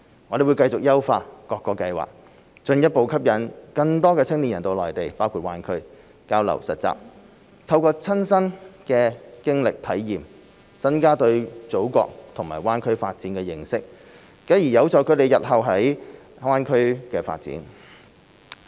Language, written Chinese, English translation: Cantonese, 我們會繼續優化各個計劃，進一步吸引更多青年人到內地包括大灣區交流實習，透過親身的經歷體驗，增加對祖國和大灣區發展的認識，繼而有助他們日後在大灣區發展。, We will continue to enhance the schemes to further attract more young people to participate in exchange and internship activities on the Mainland including the Greater Bay Area so as to enhance their understanding of their Motherland and the Greater Bay Area development through personal experience thus helping them with their future development in the Greater Bay Area